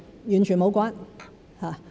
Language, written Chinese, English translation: Cantonese, 完全無關。, They are definitely unrelated